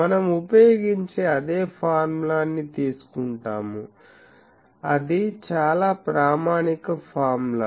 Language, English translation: Telugu, So, we take that same formula that we use, that is a very likable formula